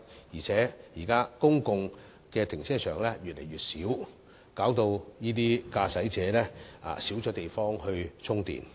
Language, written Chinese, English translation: Cantonese, 現時公共停車場數目越來越少，駕駛者可充電的地方亦越來越少。, Public car parks are now getting less in number and parking spaces with charging facilities for EV drivers are even less